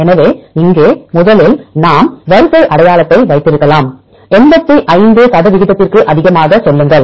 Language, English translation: Tamil, So, here first we take the alignment with may be at the sequence identity, say more than 85 percent